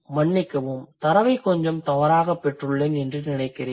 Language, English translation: Tamil, I think I got the data wrong a bit